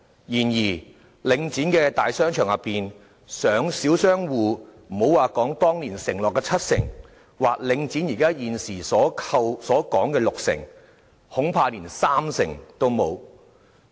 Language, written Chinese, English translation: Cantonese, 然而，領展的大商場中，小商戶佔整體商戶的比率，莫說當年承諾的七成，或領展現時所說的六成，恐怕連三成也沒有。, However in some bigger shopping arcades under Link REIT the proportion of small shop operators in the total number of existing tenants perhaps is not even up to 30 % not to say 70 % as promised or 60 % as currently suggested by Link REIT